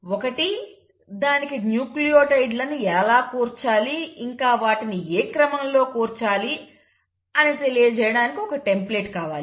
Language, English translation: Telugu, It needs, one it needs a template to tell how to put in and in what sequence to put in the nucleotides, the second is it requires a primer